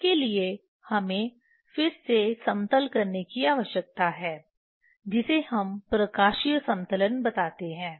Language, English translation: Hindi, For that we need again leveling that is we tell the optical leveling